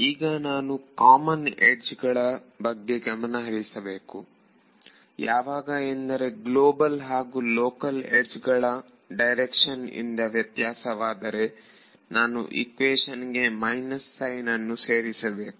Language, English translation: Kannada, So, the only thing I have to take care of is that on the common edge if the global and the local edges differ by a direction and I have to add a minus sign in the equations ok